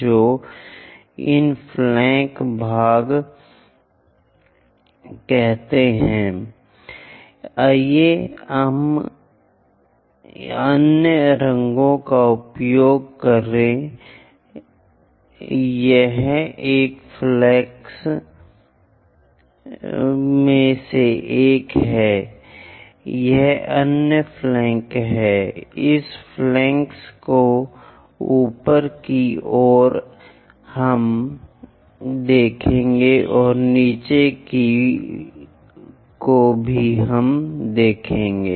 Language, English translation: Hindi, So, these are called flank portions let us use other color this one is one of the flank, this is other flank, this flanks on the top side we will see and also on the bottom side we will see